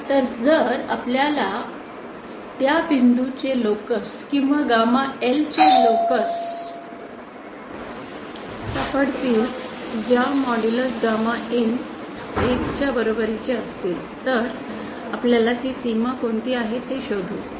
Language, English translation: Marathi, So if we can find out the locus of those points, or locus of gamma L which modulus gamma in is equal to 1, then we find out which is that boundary